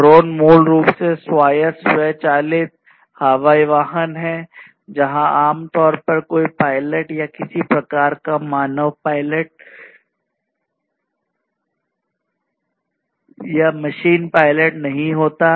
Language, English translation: Hindi, So, drones are basically autonomous self driven, you know, airborne vehicles which where there is typically no pilot or any kind any kind of human pilot or machine pilot